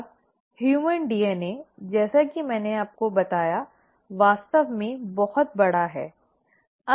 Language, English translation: Hindi, Now, the human DNA as I told you is really big